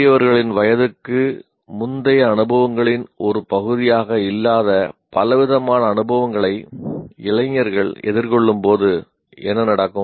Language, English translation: Tamil, And what happens, young persons are confronted by a variety of experiences which were not part of pre adult experiences of elders